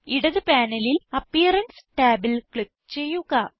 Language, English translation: Malayalam, On the left panel, click on the Appearance tab